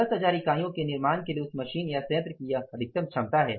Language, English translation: Hindi, There is a maximum capacity of that machine or that plant for manufacturing that 10,000 units